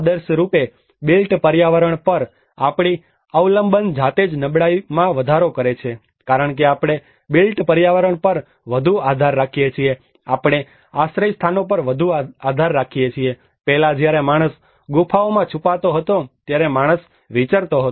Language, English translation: Gujarati, Ideally our dependency on the built environment itself enhances vulnerability because we depend more on the built environment, we depend more on the shelters, earlier when man was a nomad when man was hiding in caves